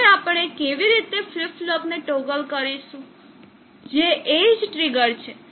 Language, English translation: Gujarati, Now how to the toggle flip flop we are saying edge triggered